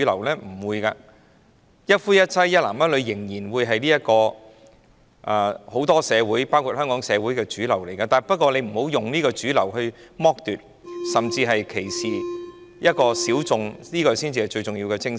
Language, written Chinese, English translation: Cantonese, 一男一女、一夫一妻的婚姻制度仍然是很多社會的主流，不過大家不要以這主流來剝奪、甚至歧視小眾，這才是最重要的精神。, The institution of monogamy and heterosexual marriage is still the mainstream in many societies including Hong Kong society but we should not make use of this mainstream to exploit or even discriminate against the minorities . This is the most important spirit